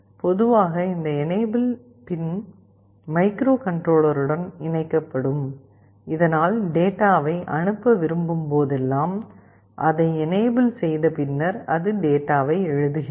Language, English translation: Tamil, Typically this enable pin is also connected to the microcontroller, so that whenever it wants to send the data, it enables it and then it writes the data